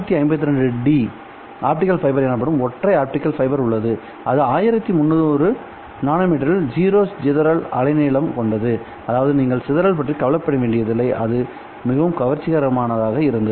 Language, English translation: Tamil, The single mode optical fiber, the so called 652D optical fiber has zero dispersion wavelength at 1,300 nanometer, which means that you don't have to worry about dispersion in that band and that was made very attractive